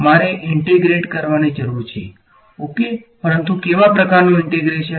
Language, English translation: Gujarati, I need to integrate that is right, but what kind of integration